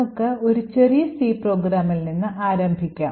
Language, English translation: Malayalam, So, let us start with a small C program